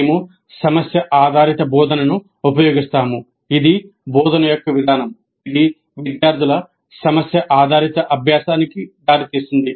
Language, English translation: Telugu, We use problem based instruction in the sense that it is the approach to instruction that results in problem based learning by the students